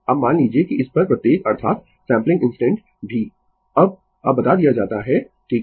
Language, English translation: Hindi, Now, suppose that every at this that is the sampling instant also now you now you tell, right